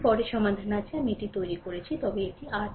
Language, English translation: Bengali, Later solution is there; later, I have made it, but this is R Thevenin